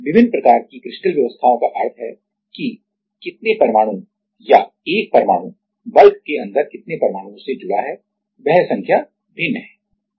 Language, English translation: Hindi, Different kind of crystal arrangements means that how many atoms or 1 atom is connected to how many atoms inside the bulk that number is different